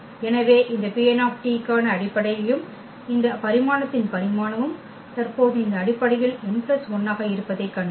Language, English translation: Tamil, So, here we have seen that these are the basis for this P n t and the dimension here the number of elements in this basis which is n plus 1 at present